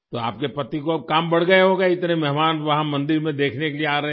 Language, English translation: Hindi, So your husband's work must have increased now that so many guests are coming there to see the temple